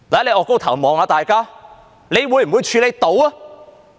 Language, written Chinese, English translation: Cantonese, 你抬高頭看看大家，你能否處理？, Will you look up at everyone and see if you can handle it?